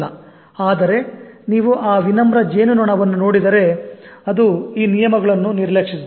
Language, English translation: Kannada, But if you look at the humble bumble bee, it ignores these laws